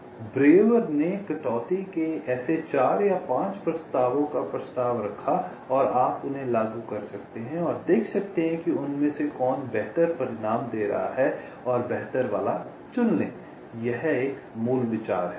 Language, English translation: Hindi, so breuer proposed four or five such sequence of cuts and you can apply them and see which of them is giving the better result and select that better one